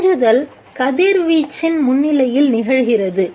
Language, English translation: Tamil, This is absorption which takes place in the presence of radiation